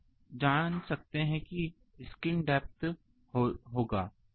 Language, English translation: Hindi, So, you can find skin depth will be this